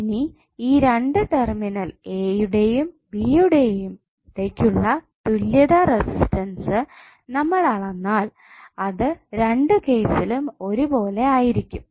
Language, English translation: Malayalam, Now the equivalent resistance which you will measure between these two terminal a and b would be equal in both of the cases